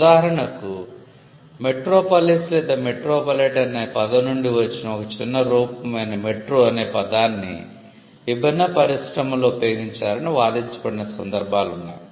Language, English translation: Telugu, For instance, there has been cases where it has been argued that the word metro which is a short form for metropolis or metropolitan has been used in various distinct industries